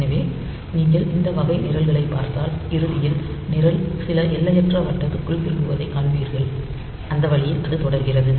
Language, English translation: Tamil, So, you can if you look into that this type of programs then you will see that at the end the program branches back to some infinite loop and that way it continues